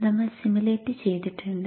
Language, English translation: Malayalam, We have simulated it